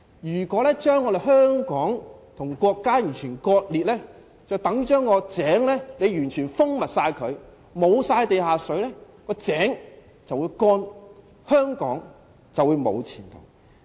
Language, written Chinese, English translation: Cantonese, 如果將香港和國家完全割裂，等於把井完全密封，沒有地下水供應，井便會乾涸，香港便沒有前途。, Completely separating Hong Kong from the State is the same as sealing up the well and cutting the supply of underground water to the well . The well will dry up and Hong Kong will have no future